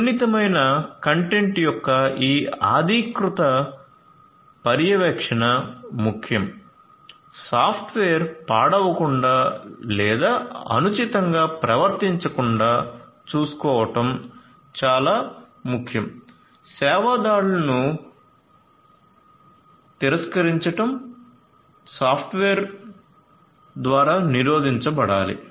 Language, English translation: Telugu, So, this authorized monitoring of sensitive content is important, it is important to ensure that the software does not become corrupt or does not behave corrupt, denial of service attacks should be prevented by the software so, software security is very important